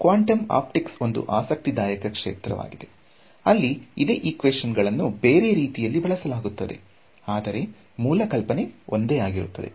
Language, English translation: Kannada, So, quantum optics is a very interesting field as well; those equations look a little bit different, but the idea is the same